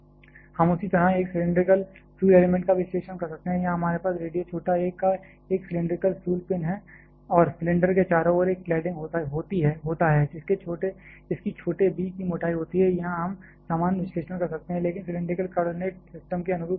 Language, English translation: Hindi, We can perform an analysis of a cylindrical fuel element the same way, here we have a cylindrical fuel pin of radius small a and there is a cladding covering around the cylinder which is having a thickness of small b, here we can perform the similar analysis, but following the cylindrical coordinate system